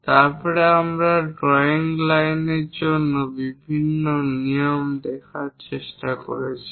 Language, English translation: Bengali, Then we have tried to look at different rules for this drawing lines